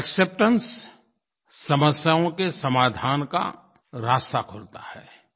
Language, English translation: Hindi, Acceptance brings about new avenues in finding solutions to problems